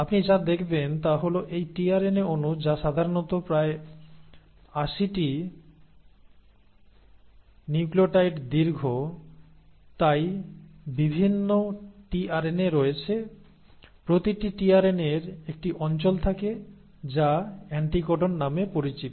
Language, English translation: Bengali, And what you find is this tRNA molecule which is usually about 80 nucleotides long, so there are different tRNAs; each tRNA has a region which is called as the “anticodon”